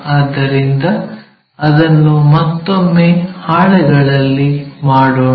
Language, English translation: Kannada, So, let us do it on the sheet once again